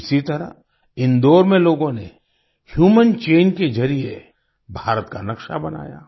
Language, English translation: Hindi, Similarly, people in Indore made the map of India through a human chain